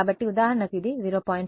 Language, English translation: Telugu, So, for example, this is 0